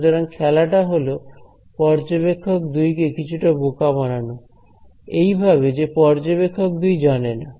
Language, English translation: Bengali, So, the game is to sort of make a fool of observer 2 in a way that observer 2 does not know